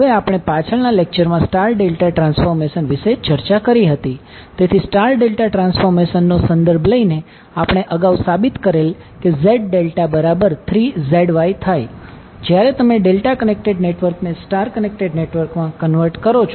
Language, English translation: Gujarati, Now we have already discuss the star delta transformation in our previous lecture, so taking reference of the star delta transformation we earlier proved in case of Z delta the value will be equally 3 of ZY when you convert delta connected network into star connected network